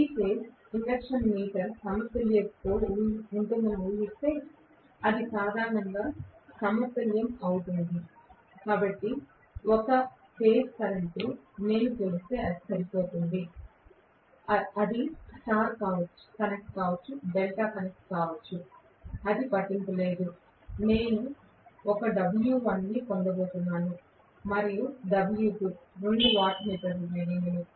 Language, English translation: Telugu, Assuming the 3 phase induction meter to be balanced it will be balanced normally, so 1 phase current if I measure it is good enough, it can be star connected, it can be delta connected it does not matter, I am going to get 1 W1 and W2, 2 wattmeter readings